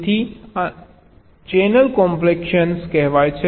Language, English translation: Gujarati, so this is something called channel compaction